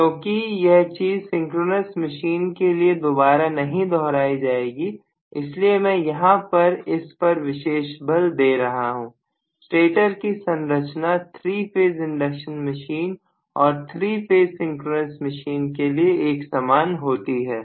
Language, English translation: Hindi, Because I will not repeat this when we talk about synchronous machine that is the reason I am emphasizing this, the stator structure essentially the same in 3 phase induction machine and 3 phase synchronous machine okay